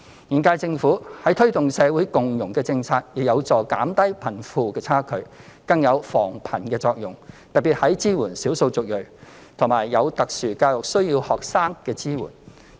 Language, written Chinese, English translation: Cantonese, 現屆政府推動社會共融政策，亦有助減低貧富差距，更有防貧的作用，特別是支援少數族裔及有特殊教育需要學生的工作。, The policy adopted by the current - term Government to promote social inclusion is also conducive to narrowing the gap between the rich and the poor as well as preventing poverty especially the Governments initiatives to provide support for the ethnic minorities and students with special educational needs SEN